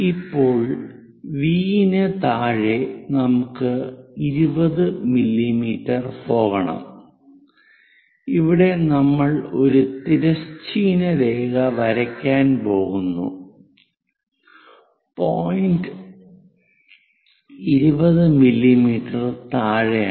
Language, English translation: Malayalam, Now below V we have to go by 20 mm, where we are going to draw a horizontal line, the point 20 mm below